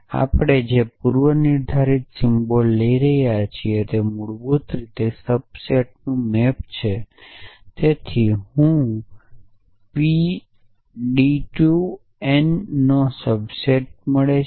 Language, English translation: Gujarati, So the predicate symbol that we are taking about is basically map to a subset so p I is a subset of d rise to n